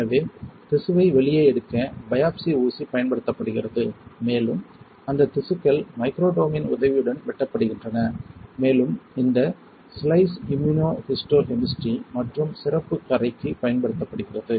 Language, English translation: Tamil, So, biopsy needle is used to take out the tissue and that tissue is sliced with the help of microtome and this slice are used for immunohistochemistry and special staining